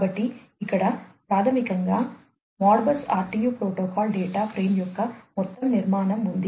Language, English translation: Telugu, So, here is basically the overall structure of the Modbus RTU protocol data frame